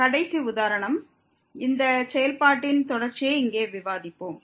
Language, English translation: Tamil, The last example, we will discuss here the continuity of this function at origin